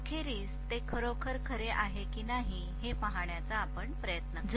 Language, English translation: Marathi, Let us try to see whether it is really true eventually